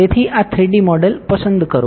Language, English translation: Gujarati, So, select this 3D model